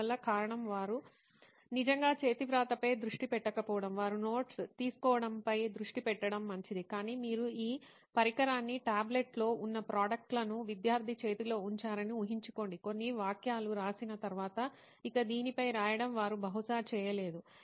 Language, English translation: Telugu, so the reason is they are not actually focusing on handwriting, they are focusing on taking notes it is fine, but imagine you place this device the tablet the existing products in a hand of a student, after writing a few sentence they will probably not able to write anymore on that